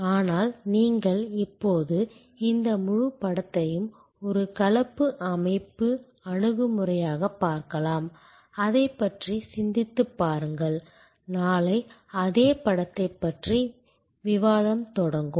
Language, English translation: Tamil, But, you can now look at this whole picture as a composite systems approach and think about it will start our discussion could the same picture tomorrow